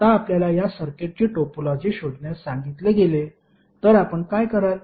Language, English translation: Marathi, Now if you are ask to find out the topology of this circuit, what you will do